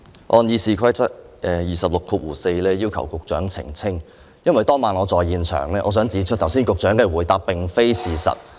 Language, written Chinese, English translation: Cantonese, 我按《議事規則》第264條，要求局長澄清，因為當晚我在現場，我想指出局長剛才的回答並非事實。, I wish to seek elucidation from the Secretary in accordance with Rule 264 of the Rules of Procedure because I was on the spot that night I want to point out that the Secretarys reply just now was untrue